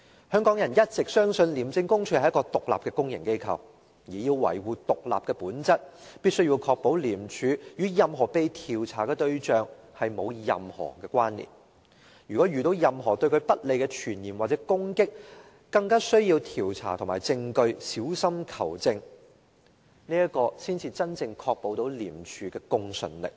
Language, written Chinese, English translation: Cantonese, 香港人一直相信廉署是獨立的公營機構，而要維護獨立的本質，必須確保廉署與任何被調查的對象沒有任何關連，如果遇到任何對廉署不利的傳言或攻擊，更需要調查和證據，小心求證，這才能真正確保廉署的公信力。, It has been a long - standing belief of Hong Kong people that ICAC is an independent public organization . In order to maintain the independent nature of ICAC we must ensure that ICAC does not have any relationship with the target being investigated . Any negative hearsay or attack on ICAC should be carefully investigated and substantiated